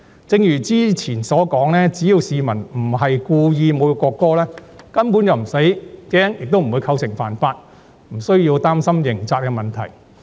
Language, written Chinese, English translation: Cantonese, 正如早前所說，只要市民不是故意侮辱國歌，根本便無需害怕，亦不會構成犯法，無需要擔心刑責問題。, As I have said earlier provided that the public do not insult the national anthem deliberately there is no need to be afraid of or worried about breaking the law and the penalties provided that the public do not insult the national anthem deliberately